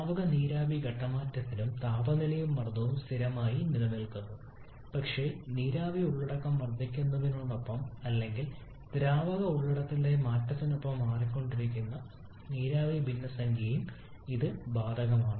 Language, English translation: Malayalam, The same applies for liquid vapour phase change as well like temperature and pressure remains constant but the vapour fraction that keeps on changing along with the increase in the vapour content or along with the change in the liquid content